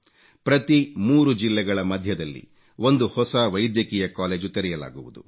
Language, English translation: Kannada, One new medical college will be set up for every three districts